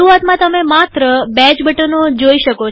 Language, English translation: Gujarati, In the beginning however, you will see only these two buttons